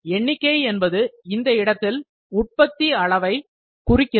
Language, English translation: Tamil, So, quantity in this case is production volume